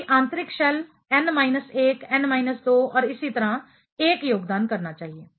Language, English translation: Hindi, All inner shell n minus 1, n minus 2 and so on should contribute 1